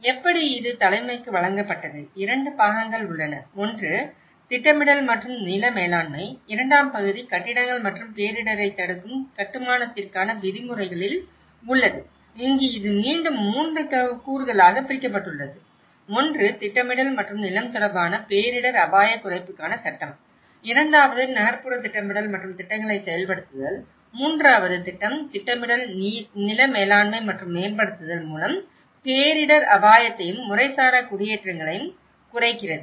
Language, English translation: Tamil, And how, this was presented for the leadership, there are 2 parts; one is the planning and land management, the second part which is on the regulations for the buildings and disaster resistant construction and here this has been again further divided into 3 components; one is the legislation for disaster risk reduction related to planning and land, the second one is the urban planning and implementation of plans, third one is reducing disaster risk and informal settlements through planning, land management and upgrading